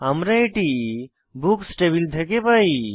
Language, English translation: Bengali, We get this from Books table